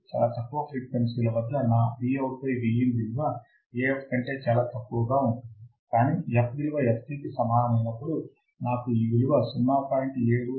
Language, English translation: Telugu, At very low frequencies my Vout by Vin will be extremely less than Af, but when f equals to fc, I will have the similar value 0